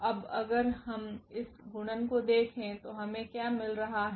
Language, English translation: Hindi, Now if we just look at this multiplication what we are getting